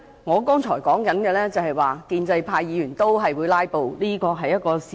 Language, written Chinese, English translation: Cantonese, 我剛才要說的是，建制派議員同樣會"拉布"，這是事實。, I was trying to say just now that Members of the pro - establishment camp would also engage in filibustering and this is the truth